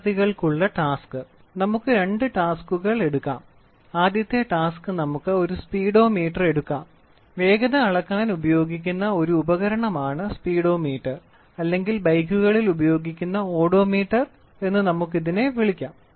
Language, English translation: Malayalam, So, task for students: So, let us take two tasks, the first task is let us take a Speedometer; Speedometer is a device which is used to measure the speed which is used or we can we call it as Odometer which is used in bikes